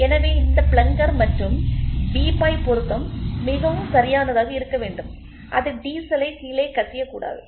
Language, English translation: Tamil, So, this plunger and barrel assembly is to be very perfect it should not leak out the diesel down